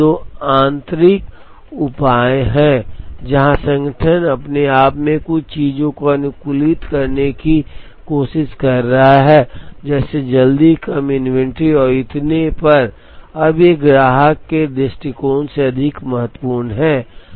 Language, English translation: Hindi, The first two are internal measures, where the organization within itself is trying to optimize a few things like, early completion less inventory and so on, now these are more important from a customer point of view ok